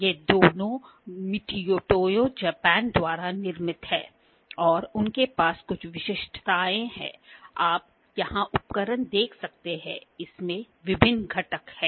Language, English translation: Hindi, These are both manufactured by MitutoyoJapan and they have certain specifications, you can see the instrument here, it has various components